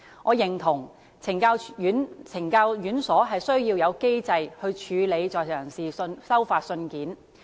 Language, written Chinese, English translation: Cantonese, 我認同懲教院所需要有機制處理在囚人士收發信件。, I agree that correctional institutions need to put in place a mechanism regulating the posting and delivery of inmates mail